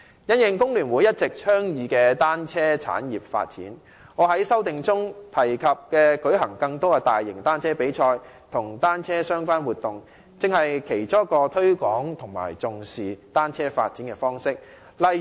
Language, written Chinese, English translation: Cantonese, 因應工聯會一直倡議的單車產業發展，我在修正案中提及舉行更多的大型單車比賽及與單車相關的活動，正是其中一個推廣和重視單車發展的方式。, Having regard to the development of the bicycle industry advocated by FTU I have proposed in my amendment organizing more large - scale cycling races and cycling - related activities and this is precisely one of the ways to promote bicycle development and give it due weight